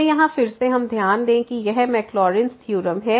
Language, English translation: Hindi, So, here again we note that this is the Maclaurin’s theorem